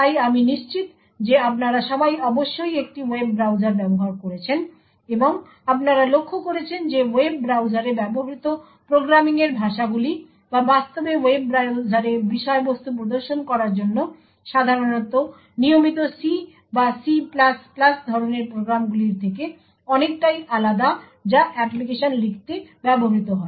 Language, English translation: Bengali, So all of you I am sure must have used a web browsers and what you would have noticed that programming languages used in web browsers or to actually display contents in web browsers are very much different from the regular C or C++ type of programs that are typically used to write applications